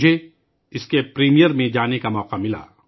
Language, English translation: Urdu, I got an opportunity to attend its premiere